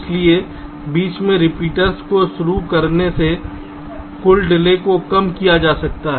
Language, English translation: Hindi, ok, so by introducing repeaters in between, the total delay can be reduced